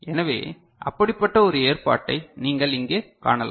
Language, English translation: Tamil, So, one such you know arrangement you can see over here ok